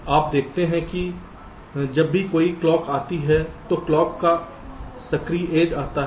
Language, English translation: Hindi, so you see, whenever a clock comes, the active edge of the clock comes